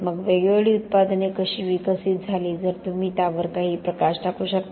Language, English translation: Marathi, So how different products evolved, if you can give some light on that